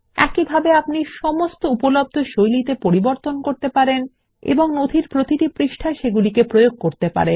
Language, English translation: Bengali, Likewise you can do modifications on all the available default styles and apply them on each page of the document